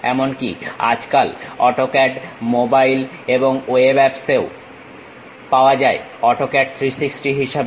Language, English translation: Bengali, Nowadays, AutoCAD is available even on mobile and web apps as AutoCAD 360